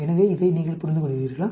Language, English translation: Tamil, So, you understand this